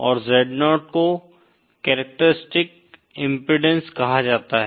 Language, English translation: Hindi, And Z0 is called as the characteristic impedance